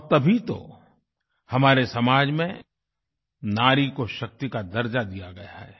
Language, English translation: Hindi, And that is why, in our society, women have been accorded the status of 'Shakti'